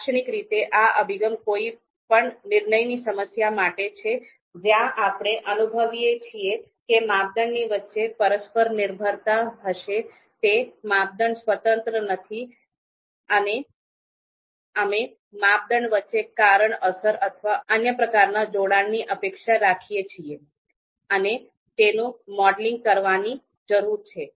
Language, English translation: Gujarati, So typically, the approach is for any you know decision problem where we feel that you know interdependence between criteria are going to be there, the criteria are you know not independent and we expect you know cause effect or other kinds of association between criteria and that needs to be modeled